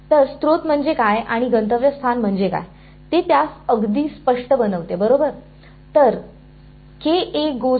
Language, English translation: Marathi, So, what is the source and what is the destination that is to make it very explicit right